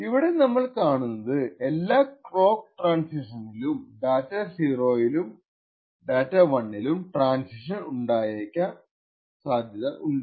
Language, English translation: Malayalam, So, what we see is that every tie the clock transitions, it is likely that the data 0 and data 1 may transition